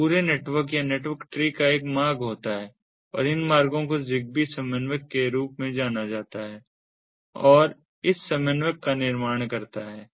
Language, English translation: Hindi, so the entirenetwork, or the network tree, has a route and this route is known as the zigbee coordinator